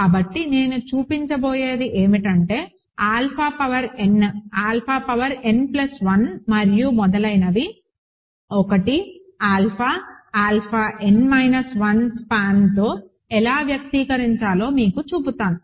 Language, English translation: Telugu, So, what I will show is I will show you how to express alpha power n, alpha power n plus 1 and so on are in the span of 1, alpha, alpha n minus 1 over F